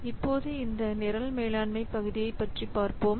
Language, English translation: Tamil, Now let's see about this program management part